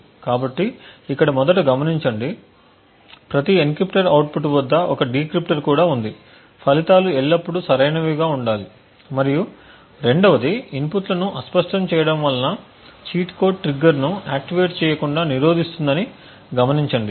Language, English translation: Telugu, So, note first that since or every encryptor there is also a decryptor at the output the results should always be correct and secondly also note that this obfuscation of the inputs would prevent the cheat code from activating the trigger